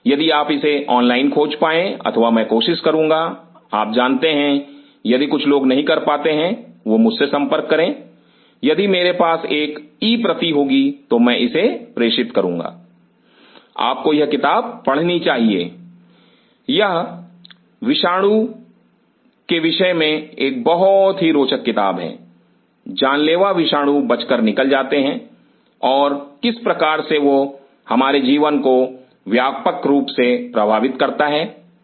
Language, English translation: Hindi, If you find it online or I will try to you know someone of if cant contact me if I, if I have a e copy I will forward this, you should read this book this is a very interesting book about virus deadly viruses escaping out and how that could influence our life big way ok